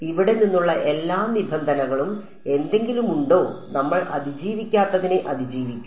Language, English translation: Malayalam, Is there any what all terms from here we will survive what we will not survive